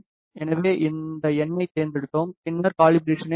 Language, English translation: Tamil, So, we are selected this number then press calibrate